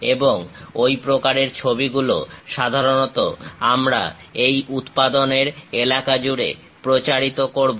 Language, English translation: Bengali, And that kind of drawings usually we circulate across this production line